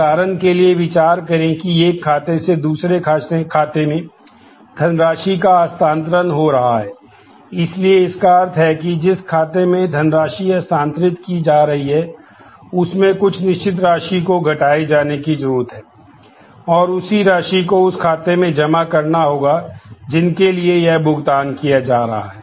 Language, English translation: Hindi, For example, consider that there is a funds being transformed from one account to another, so this means the account from which the funds are being transferred needs to be debited certain amount, and that same amount has to get credited to the accounts to which it is being paid